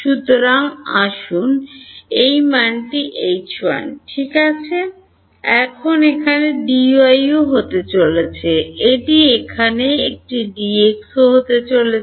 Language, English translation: Bengali, So, let us call this value H 1 ok, now there is going to be D y over here also this is going to be a D x over here also ok